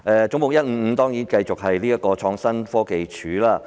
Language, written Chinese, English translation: Cantonese, 總目155是關於創新科技署。, Head 155 concerns the Innovation and Technology Commission ITC